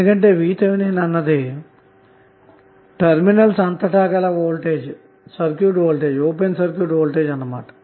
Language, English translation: Telugu, Because VTh is open circuit voltage across the terminals